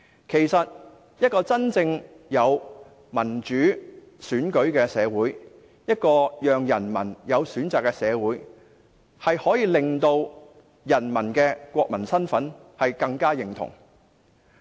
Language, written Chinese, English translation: Cantonese, 其實，一個真正有民主選舉的社會，一個讓人民有選擇的社會，可以增加人民對國民身份的認同。, Actually people in a society with genuine democratic elections that is a society that allows people choices will certainly recognize more of their national identity